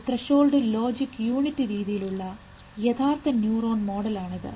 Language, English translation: Malayalam, They said it is a real neuron model is a threshold logic unit